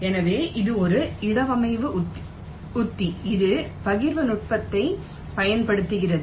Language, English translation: Tamil, so this is a placement strategy which uses partitioning technique